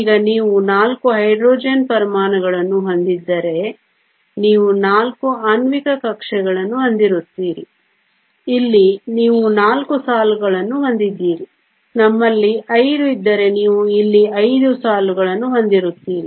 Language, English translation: Kannada, Now if you have 4 Hydrogen atoms you will have 4 molecular orbitals you will have 4 lines here if we have 5 you will have 5 lines here